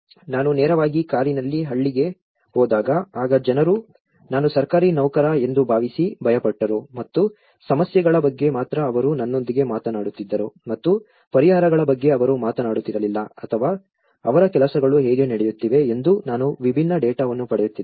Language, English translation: Kannada, when I approached the village directly in a car and going with, then people were afraid of they thought I was a Government servant and that only talk to me about problems they never talked to me about solutions or their how the things were doing I was getting a different data